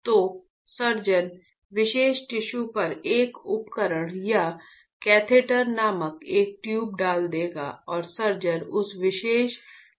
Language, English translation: Hindi, So, the surgeon will put a tool called or a tube called catheter on the particular tissue and the surgeon will burn that particular tissue